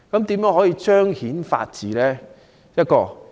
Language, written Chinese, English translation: Cantonese, 如何才能彰顯法治？, How can the rule of law be enshrined?